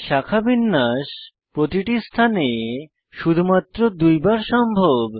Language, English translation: Bengali, Note that branching is possible only twice at each position